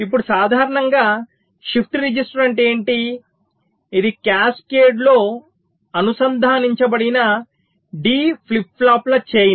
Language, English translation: Telugu, now a shift register is normally what it is: a chain of d flip flops connected in cascade